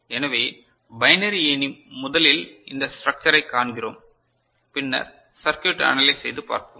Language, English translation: Tamil, So, the binary ladder first we see this structure and then analyse the circuit and then we shall move ahead